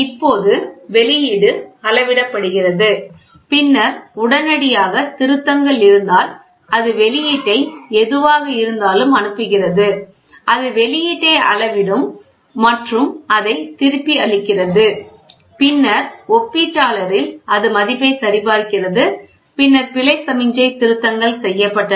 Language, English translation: Tamil, Now, the output is measured and then if there are corrections to be made immediately it goes sends the output whatever is it, it measures the output and gives it back and then in the comparator it checks the value then error signal, corrections made